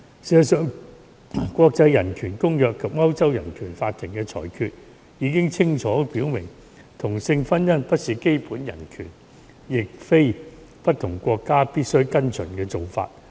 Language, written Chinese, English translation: Cantonese, 事實上，國際人權公約及歐洲人權法庭的裁決已清楚表明，同性婚姻不是基本人權，亦非不同國家必須跟隨的做法。, In fact the International Covenant on Human Rights and the decisions of the European Court of Human Rights have made clear that same - sex marriage was not a basic human right and was not an obligation for various countries to follow